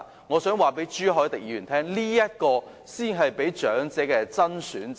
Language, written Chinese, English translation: Cantonese, 我想告訴朱凱廸議員，這才是長者的"真選擇"。, I would like to tell Mr CHU Hoi - dick that this exactly is a genuine choice for elderly persons